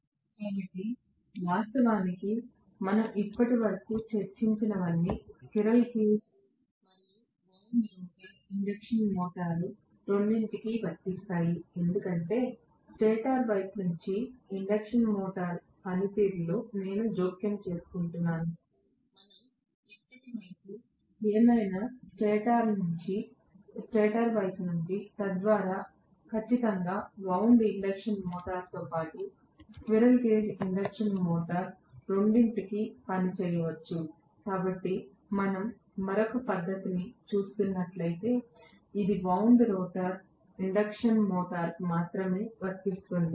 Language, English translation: Telugu, So, this actually whatever we discussed so far all of them are applicable to both squirrel cage as well as wound rotor induction motor because I am interfering with the working of the induction motor from the stator side, whatever we so far is from the stator side, so that definitely can work for both wound induction motor as well as the slip ring induction motor, as well as the squirrel cage induction motor, so if we are looking at another method which is only applicable to the wound rotor induction motor